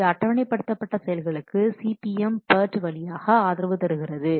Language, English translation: Tamil, This supports scheduling activities through CPM port etc